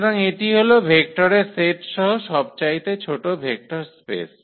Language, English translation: Bengali, So, this is the smallest vector space containing the set of vectors